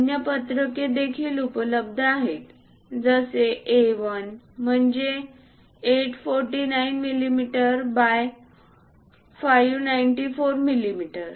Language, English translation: Marathi, There are other sheets are also available A1 849 millimeters by 594 millimeters